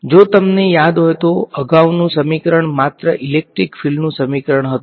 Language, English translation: Gujarati, If you recall the previous equation was a equation only in electric field